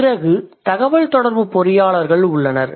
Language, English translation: Tamil, Then there are communications engineer